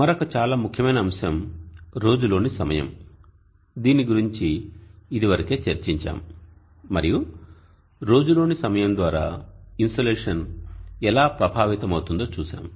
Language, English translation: Telugu, Another very important factor is the time of day this is something that we have discussed already and we saw how the insulation is affected by the time of the day and we use the symbol